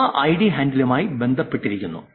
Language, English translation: Malayalam, That ID is associated with the handle